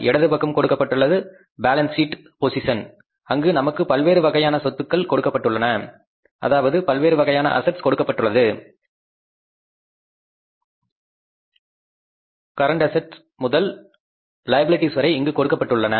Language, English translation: Tamil, So, we are given on the left side this is a balance sheet position where we are given the assets starting with the current assets and then we are given the liabilities